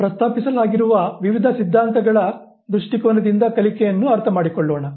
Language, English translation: Kannada, Now let us understand learning from the point of view of various theories that has been proposed